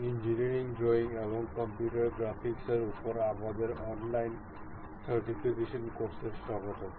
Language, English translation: Bengali, Welcome to our online certification courses on Engineering Drawing and Computer Graphics